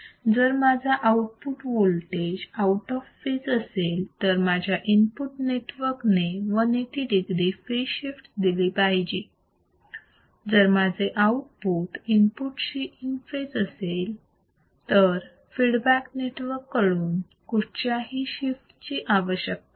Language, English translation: Marathi, So, if it my output voltage is out of phase, and my feedback network should provide a 180 phase shift; if my output is in phase with the input my feedback network does not require to provide any phase shift